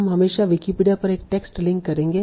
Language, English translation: Hindi, So we will always link a text to Wikipedia